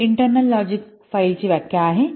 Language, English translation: Marathi, That's why this is internal logical file